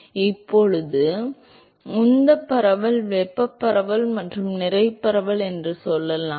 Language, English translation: Tamil, Now let us say momentum diffusivity thermal diffusivity and mass diffusivity